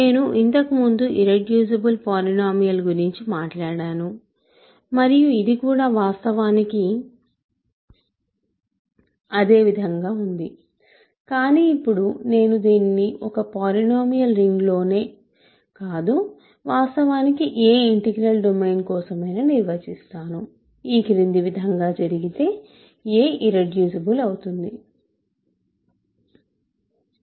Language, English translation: Telugu, So, we say that a is irreducible so, we have talked about irreducible polynomials earlier and this is actually same as that, but now I am doing this not just in any polynomial ring, but in fact, for any integral domain, a is irreducible if the following happens